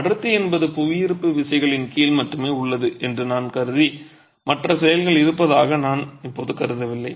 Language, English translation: Tamil, If I were to assume that the density, it is only under gravity forces, I am not assuming the presence of other actions now